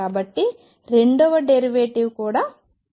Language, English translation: Telugu, So, that the second derivative can be also taken